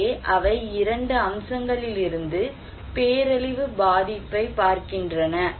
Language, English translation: Tamil, So, they are looking disaster vulnerability from 2 aspects